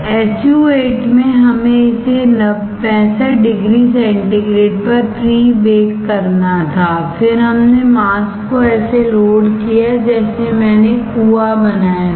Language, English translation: Hindi, In SU 8 we had to pre bake it at 65 degree centigrade, then we load the mask such that I had to create the well